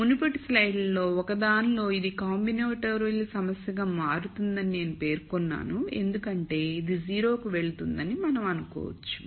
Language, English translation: Telugu, So, in one of the previous slides I had mentioned that this becomes a combinatorial problem because we could also assume that this goes to 0